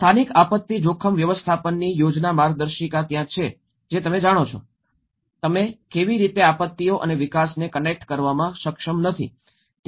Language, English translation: Gujarati, So that is where the local disaster risk management planning guidelines you know, how it is not properly able to connect the disasters and development